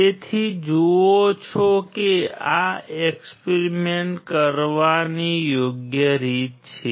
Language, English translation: Gujarati, So, you see this is a right way of performing the experiments